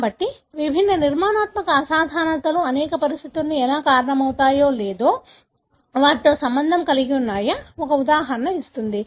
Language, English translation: Telugu, So, that gives an example as to how different structural abnormalities either cause or are associated with several conditions